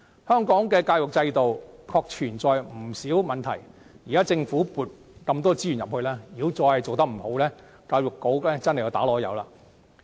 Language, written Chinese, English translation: Cantonese, 香港的教育制度確實存在不少問題，現時政府向教育撥出大量資源，如果仍然做得不好，便是教育局的過失了。, There are indeed many problems in Hong Kongs education system . Now that the Government has allocated abundant resources to education it will be the fault of the Education Bureau if it still cannot do a proper job of this